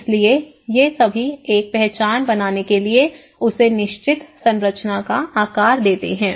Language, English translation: Hindi, So, all these makes how they gives shape certain structure that create an identity